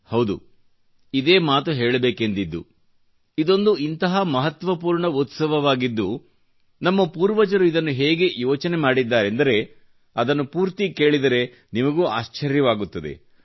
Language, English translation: Kannada, See, that's the thing, this is such an important festival, and our forefathers have fashioned it in a way that once you hear the full details, you will be even more surprised